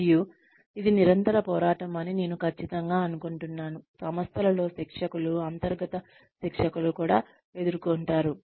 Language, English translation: Telugu, And, I am sure that this is a constant struggle, that trainers, in house trainers in organizations, also face